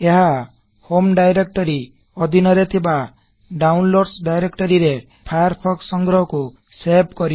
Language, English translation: Odia, This will save Firefox archive to the Downloads directory under the Home directory